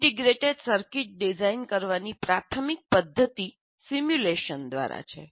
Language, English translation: Gujarati, So the main method of designing an integrated circuit is through simulation